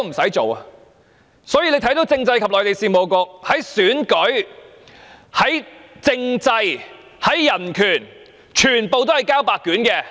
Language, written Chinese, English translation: Cantonese, 所以，大家看到，政制及內地事務局在選舉、政制、人權上全部交白卷。, Therefore we all see that CMAB has accomplished nothing in the areas of election political system and human rights